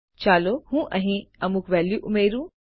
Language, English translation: Gujarati, Let me add some value here